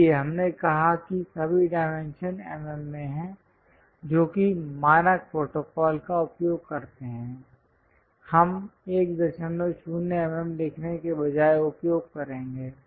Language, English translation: Hindi, So, we said like all dimensions are in mm that kind of standard protocol we will use, instead of writing 1